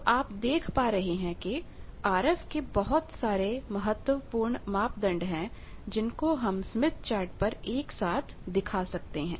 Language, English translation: Hindi, So, you see various RF parameters of importance they can be simultaneously displayed in the smith chart